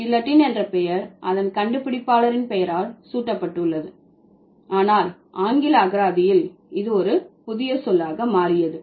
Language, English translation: Tamil, So, guillotine has been named after its inventor, but it became a word, it became a new word in English lexicon